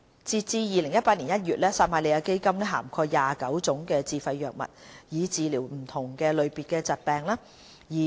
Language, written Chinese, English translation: Cantonese, 截至2018年1月，撒瑪利亞基金涵蓋29種自費藥物，以治療不同類別的疾病。, As at January 2018 Samaritan Fund covered 29 self - financed drugs for treating different types of diseases